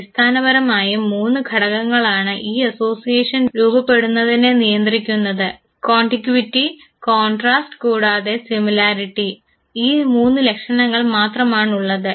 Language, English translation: Malayalam, Basically three factors governed a formation of this association – contiguity, contrast and similarity; just these three features